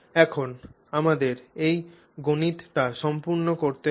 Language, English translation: Bengali, So, now we simply have to do you know complete this math